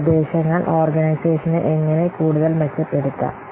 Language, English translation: Malayalam, Then how an organization will be improved